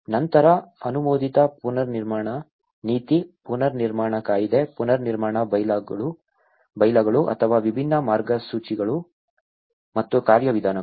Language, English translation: Kannada, Then, Approved Reconstruction Policy, Reconstruction Act, Reconstruction Bylaws or different guidelines and procedures